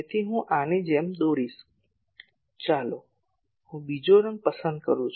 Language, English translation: Gujarati, So, I will draw like this let me choose another colour